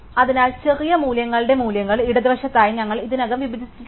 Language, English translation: Malayalam, So, we have already partition the values of the smaller values are to the left